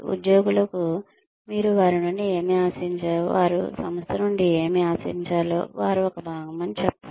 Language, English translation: Telugu, Tell employees, what you expect of them, what they should expect from the organization, that they are, a part of